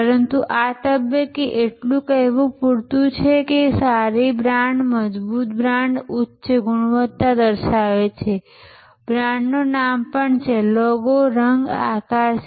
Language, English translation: Gujarati, But, at this stage it is suffices to say that a good brand, a strong brand connotes high quality, brand also is the name, is a logo, colour, shape